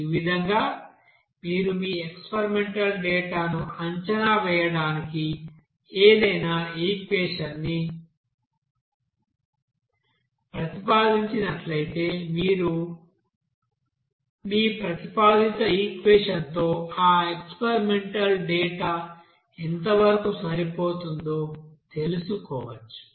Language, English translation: Telugu, So in this way you can find out if you propose any equation to predict your experimental data, how or what extent of goodness of fit that you know experimental data with your proposed equation